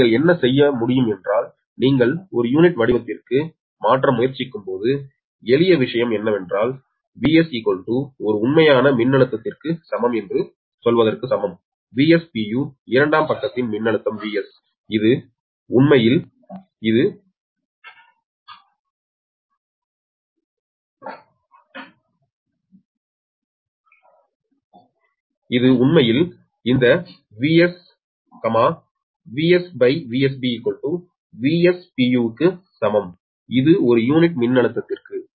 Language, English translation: Tamil, so what you, what one can do, is that when you are trying to converted to per unit form, then simple thing is that v s is equal to a real voltage, is equal to say v s b, v s per unit voltage of the secondary side, into v s b